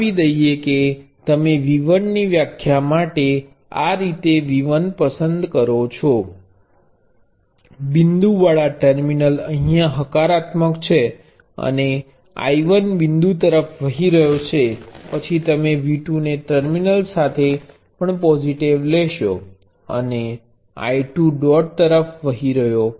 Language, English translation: Gujarati, Let say you choose V 1 this way for the definition of V 1 the terminal with dot is positive and I 1 flows in to the dot then you take V 2 also with the terminal with dot being positive, and I 2 flowing into the dot